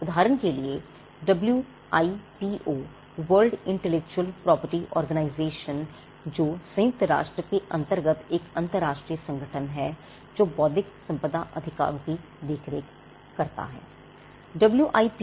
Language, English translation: Hindi, The WIPO, which stands for World Intellectual Property Organization, which is an international organization under the United Nations which deals with intellectual property rights